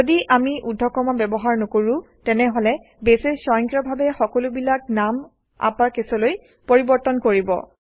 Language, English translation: Assamese, If we dont use the quotes, Base will automatically convert all names into upper cases